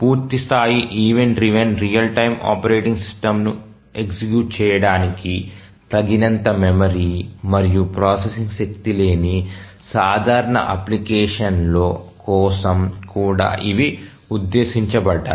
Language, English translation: Telugu, These are also meant for simple applications where there is not enough memory and processing power to run a full blown event driven real time operating system